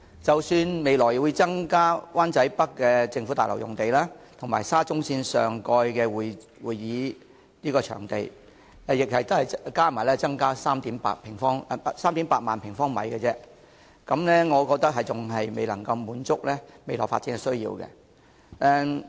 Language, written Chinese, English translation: Cantonese, 即使未來拆卸灣仔北的政府大樓並重建為會展設施，以及在沙中線會展站上蓋興建會展場地，兩者加起來亦只有38000平方米，我覺得仍然未能滿足未來的發展需要。, Notwithstanding the future demolition of the government buildings in Wan Chai North and redevelopment of the site into CE facilities as well as the construction of CE facilities above the Exhibition Station of SCL which are only 38 000 sq m in area combined I find the current efforts insufficient to satisfy the future development needs